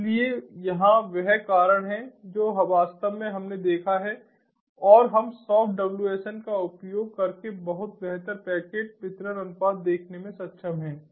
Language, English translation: Hindi, so here that is the reason actually we have observed and that we are able to see much improved packet delivery ratio, much improved packet delivery ratio using soft wsn